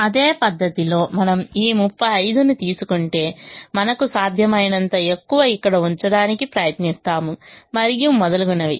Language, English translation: Telugu, in the same manner, if we take this thirty five, we would try to put as much as we can here and so on